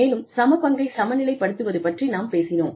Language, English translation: Tamil, And, we talked about, balancing equity